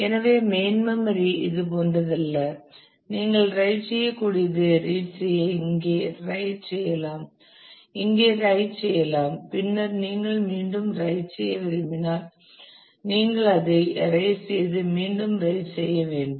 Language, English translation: Tamil, So, it is not like in the main memory where you can read write read write like that here you can write and then if you want to write again then you will have to erase and write it